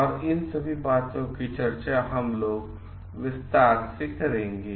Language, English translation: Hindi, We will discuss both of them in details